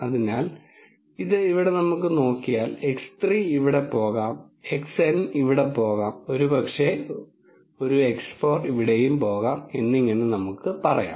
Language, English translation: Malayalam, So, let us say this could go here this could go here, x 3 could go here x N could go here maybe an x 4 could go here and so on